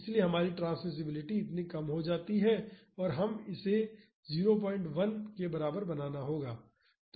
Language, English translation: Hindi, So, our transmissibility comes down to this and we have to make it equivalent to 0